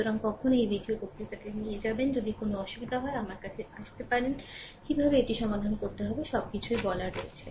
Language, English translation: Bengali, So, you will when you will go through this video lecture, if you have any difficult, you can go through my right up, but everything I explained how to solve it right